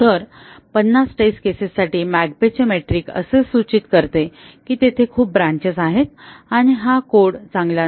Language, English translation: Marathi, So, 50 test cases, 50 McCabe’s metric indicates that there are too many branches there and the code is not good